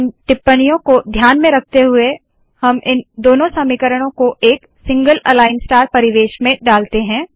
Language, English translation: Hindi, In view of these observations, we put both of these equations into a single align star environment